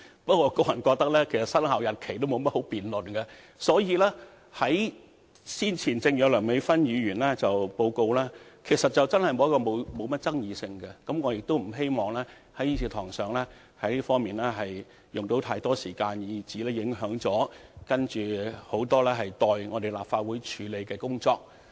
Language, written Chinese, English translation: Cantonese, 不過，我個人認為生效日期並沒有甚麼需要辯論，正如梁美芬議員先前報告時所說，此事真的沒有甚麼爭議性，我不希望在議事堂上為此花太多時間，以致影響很多尚待立法會處理的工作。, However I personally do not think there is any need to debate the commencement date and as mentioned by Dr Priscilla LEUNG in her report earlier on this issue is really uncontroversial . I do not want to spend too much time on this in the Chamber lest many items of business that have yet to be dealt with by this Council should be affected